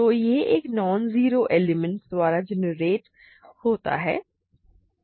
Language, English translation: Hindi, So, it is generated by a non zero element